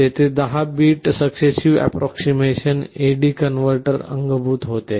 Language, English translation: Marathi, There was a built in 10 bit successive approximation A/D converter